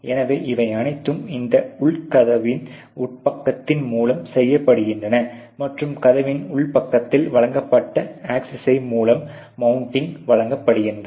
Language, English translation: Tamil, So, all these things are done through this inner side and the mounting is given by the access provided on the inner side of the door